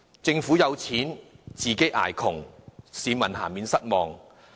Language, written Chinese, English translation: Cantonese, 政府有錢，自己卻要捱窮，市民難免感到失望。, When the Government is rich but the people have to suffer from poverty it will only be natural that they are disappointed